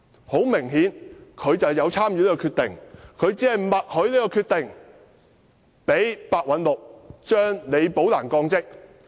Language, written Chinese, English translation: Cantonese, 很明顯，梁振英有參與這項決定，他默許這項決定，讓白韞六將李寶蘭降職。, Obviously LEUNG Chun - ying had participated in making the decision and he tacitly agreed to the decision for Simon PEH to demote Rebecca LI